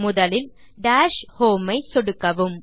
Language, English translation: Tamil, First, click Dash Home